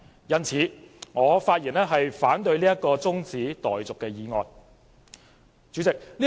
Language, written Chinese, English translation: Cantonese, 因此，我發言反對這項中止待續議案。, Therefore I speak against this adjournment motion